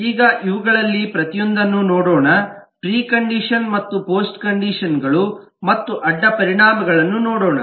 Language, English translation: Kannada, now let us look at for each one of this, let us look at the preconditions and the post conditions and the side effect